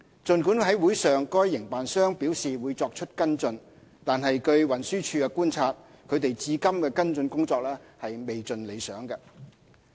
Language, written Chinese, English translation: Cantonese, 儘管會上該營辦商表示會作出跟進，但據運輸署觀察，他們至今的跟進工作未盡理想。, Although the operator indicated at the meeting that follow - up actions would be taken according to Transport Department TDs observation the actions taken so far have not been satisfactory